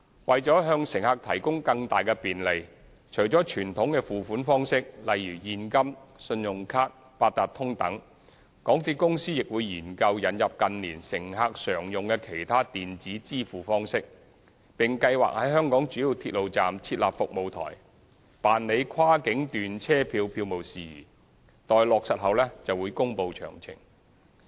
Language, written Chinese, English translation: Cantonese, 為向乘客提供更大便利，除了傳統的付款方式，例如現金、信用卡、八達通等，港鐵公司亦會研究引入近年乘客常用的其他電子支付方式，並計劃在香港主要鐵路站設立服務台，辦理跨境段車票票務事宜，待落實後會公布詳情。, For added convenience for passengers in addition to accepting payment by traditional means such as cash credit card and Octopus MTRCL will consider introducing electronic means of payment popular with passengers in recent years . MTRCL is also planning to set up service counters for cross boundary journey ticketing at major rail stations in Hong Kong . Details will be announced upon confirmation